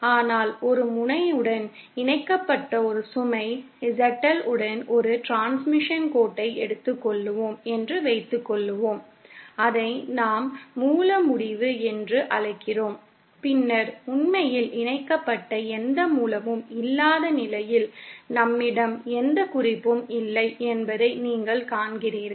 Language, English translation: Tamil, But there suppose we just take a transmission line with a load ZL connected to one end and the other end, we call it the source end, then you see we do not have any reference in the absence of any source that is really connected, we do not have any reference